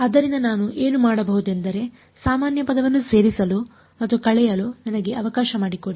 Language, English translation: Kannada, So, very simply what I can do is let me add and subtract a common term